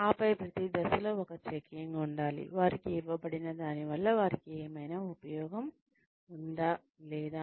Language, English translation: Telugu, And then, at every stage, one checks, whether, whatever has been given to them, is of any use, to them or not